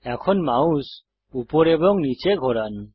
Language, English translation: Bengali, Now move your mouse left to right and up and down